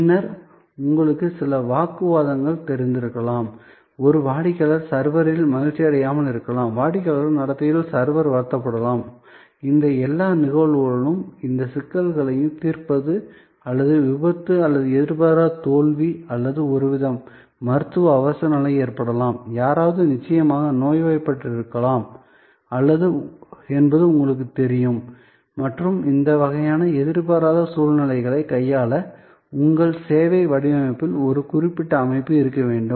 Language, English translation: Tamil, Then, there could be you know some altercation, a customer may not be happy with the server, the server maybe upset with the customer behavior, in all these cases, these resolving of the difficulties or cause by accident or unforeseen failure or there could be a medical emergency, you know somebody maybe certainly sick and there has to be a certain system in your service design to handle these kind of unforeseen situations